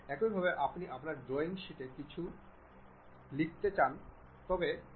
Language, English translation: Bengali, Similarly, you would like to write some text on your drawing sheet